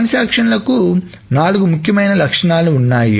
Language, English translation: Telugu, So, transactions have four very, very important properties